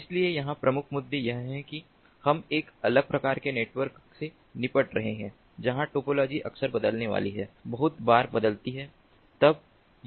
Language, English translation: Hindi, so the key issues here are that we are dealing with a different type of network where the topology is going to frequently change, very frequently change